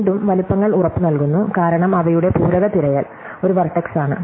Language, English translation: Malayalam, And once again, the sizes are guaranteed, because their complementary search a vertices